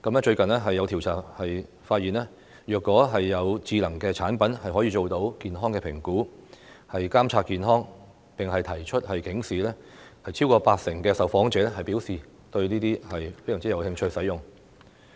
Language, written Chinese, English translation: Cantonese, 最近，有調查發現，如果有智能產品可以做到健康評估、監察健康，並提出警示，超過八成受訪者表示非常有興趣使用這些產品。, Recently some surveys have found that more than 80 % of the respondents have expressed great interest in using intelligent products if they can make health assessment monitor health conditions and provide alerts